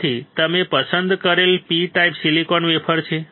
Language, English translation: Gujarati, We have chosen P type silicon wafer